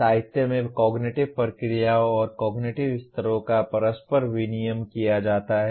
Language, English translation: Hindi, In literature cognitive processes and cognitive levels are used interchangeably